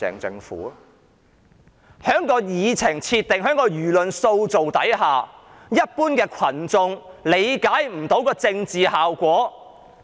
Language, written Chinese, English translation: Cantonese, 在議程設定及輿論塑造下，一般群眾未能理解政治效果。, Due to the design of the deliberation process and the shaping of public opinion the general masses are unable to understand this political effect